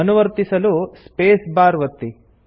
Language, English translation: Kannada, To continue, lets press the space bar